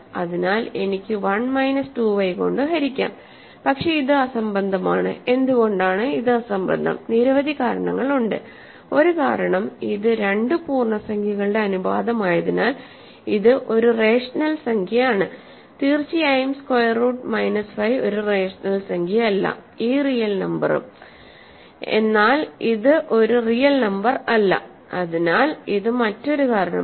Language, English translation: Malayalam, So, I can divide by 1 minus 2 y, but this is absurd, why is this absurd, for several reasons; one reason is that this is a rational number right because it is a ratio of two integers, it is rational number certainly square root minus 5 is not a rational number also this real number, but this cannot be a real number so that is another reason